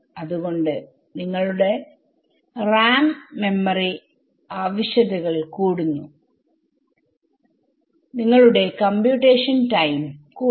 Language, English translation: Malayalam, So, your RAM; memory requirements increases, your computation time increases everything right